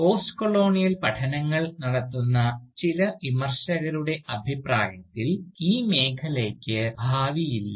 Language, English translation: Malayalam, But, according to some Critics of Postcolonial studies, this field has no Future at all